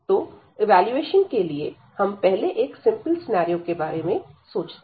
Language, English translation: Hindi, So, for the evaluation, we have we will consider first the a simple scenario